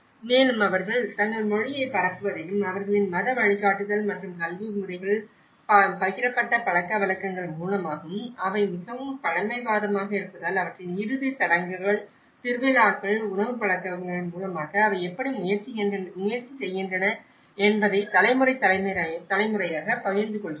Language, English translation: Tamil, And because they are also very conservative in terms of spreading their language and through their religious guidance and the education systems and the shared customs you know they are basically, you know how their funerals, how the festivals, how the food habits, they try to share that through generation to generation